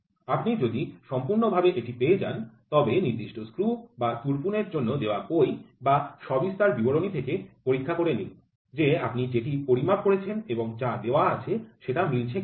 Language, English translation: Bengali, If you perfectly got it, check with the book or the specification, which is given for that particular screw or for the drill what you have measured and what is given by them is matching